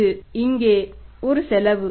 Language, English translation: Tamil, 30 this is a cost here